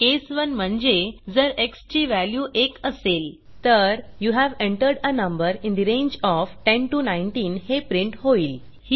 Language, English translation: Marathi, case 1 means if the value of x is 1 We print you have entered a number in the range of 10 19